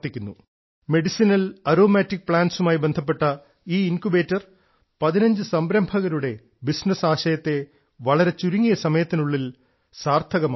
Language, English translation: Malayalam, In a very short time, this Incubator associated with medicinal and aromatic plants has supported the business idea of 15 entrepreneurs